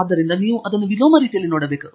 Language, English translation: Kannada, So, you have to look at it in the inverse manner